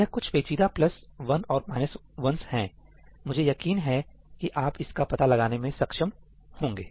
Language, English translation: Hindi, These are some intricate plus 1ís and minus 1ís; which I am sure you will be able to figure out on your own